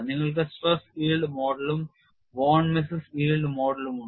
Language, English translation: Malayalam, You have the Tresca yield model and Von Misses yield model